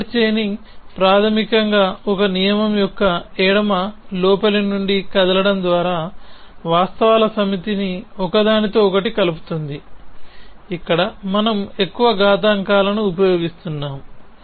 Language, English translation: Telugu, So, forward chaining says basically stringing together a set of facts by moving from the left inside of a rule where, we are using more exponents